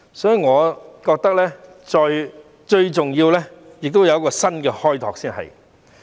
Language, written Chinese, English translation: Cantonese, 所以，我覺得最重要的是要有一個新開拓。, Hence I think what is most important is to have a new mode of development